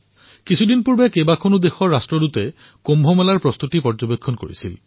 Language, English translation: Assamese, A few days ago the Ambassadors of many countries witnessed for themselves the preparations for Kumbh